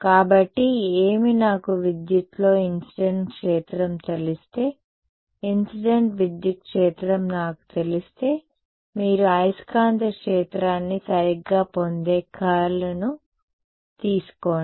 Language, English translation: Telugu, So, what, if I know incident field in the electric if I know the incident electric field take the curl you get the magnetic field right